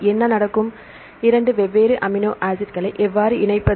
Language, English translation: Tamil, So, what will happen; how to combine the two different amino acids